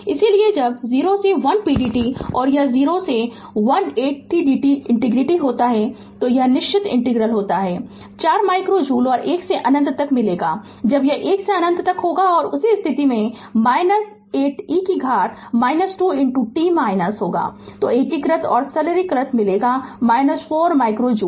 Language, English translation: Hindi, So, when 0 to 1 p dt it is 0 to 1 8 t dt so you integrate right it is in the definite integral you will get 4 micro joule and 1 to infinity when you make it is 1 to infinity and in that case minus 8 e to the power minus 2 into t minus, so integrate and simplify you will get minus 4 micro joule